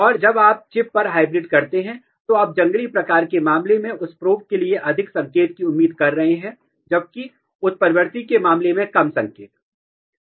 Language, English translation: Hindi, And when you hybridize on the chip, you are expecting more signal for that probe in case of wild type whereas, less signal in case of mutant